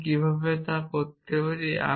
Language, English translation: Bengali, And how do I do that